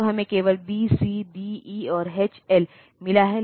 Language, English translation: Hindi, So, we have got only say B C D E and H L